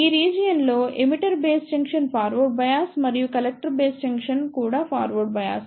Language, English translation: Telugu, In this region emitter base junction is forward bias and collective base junction is also forward bias